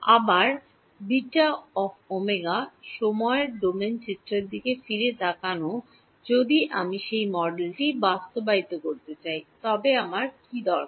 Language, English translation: Bengali, Again looking back at the time domain picture if I wanted to implement that model what do I need